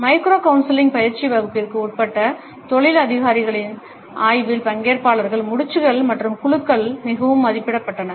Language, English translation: Tamil, The nods and shakes were highly rated by the participants in a study of career officers, who were undergoing a micro counseling training course